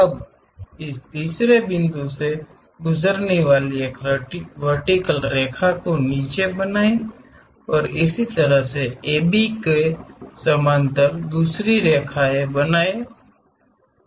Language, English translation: Hindi, Now drop a vertical passing through this 3 point and similarly drop a parallel line parallel to A B from point 2